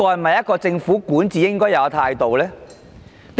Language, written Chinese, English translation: Cantonese, 這是否政府管治的應有態度？, Should this be the attitude of the Government in its policy implementation?